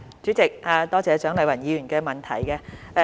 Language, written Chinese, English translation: Cantonese, 主席，多謝蔣麗芸議員的補充質詢。, President I thank Dr CHIANG Lai - wan for the supplementary question